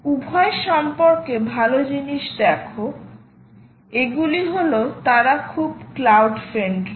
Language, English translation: Bengali, see, the good thing about both these is that they are very cloud friendly